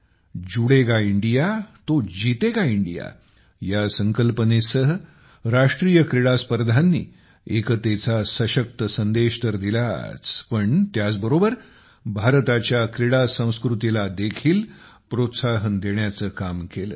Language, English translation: Marathi, With the theme 'Judega India to Jeetega India', national game, on the one hand, have given a strong message of unity, on the other, have promoted India's sports culture